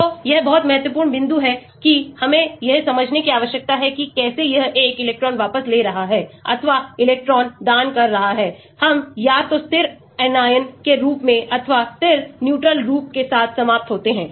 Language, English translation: Hindi, so that is a very important point we need to understand how whether it is an electron withdrawing or electron donating, we end up either with the stable anion form or with the stable neutral form